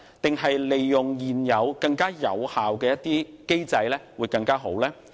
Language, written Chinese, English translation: Cantonese, 還是利用現有更有效的機制會更好呢？, Or will it be better to make use of the current mechanism which will be more effective?